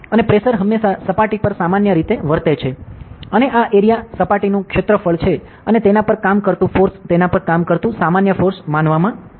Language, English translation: Gujarati, And pressure is always acting normal to the surface and this area is the surface area and the force acting on it is considered as the normal force acting on it, ok